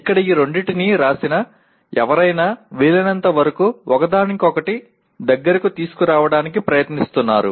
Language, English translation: Telugu, Here is someone who has written these two trying to bring them as close to each other as possible